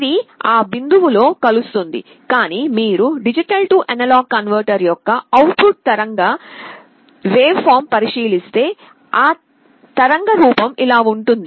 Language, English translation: Telugu, It gets converged to that point, but if you look at the output waveform of the D/A converter, the waveform will look like this